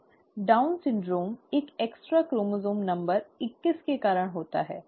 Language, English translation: Hindi, Down syndrome is caused by an extra chromosome number twenty one